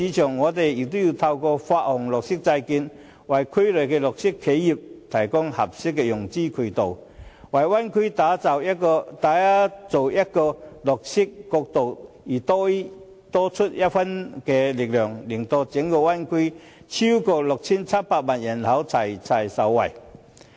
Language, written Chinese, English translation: Cantonese, 政府也可以透過發行綠色債券，為區內的綠色企業提供合適的融資渠道，為灣區打造綠色國度而多出一分力，令整灣區內超過 6,700 萬人口一同受惠。, This will bring new development opportunities to Bay Area enterprises and enable them to explore new markets . Besides the Government may also issue green bonds to provide green enterprises in the Bay Area with an appropriate financing channel . This will assist the Bay Area in going green and the 67 million people in the entire Bay Area will benefit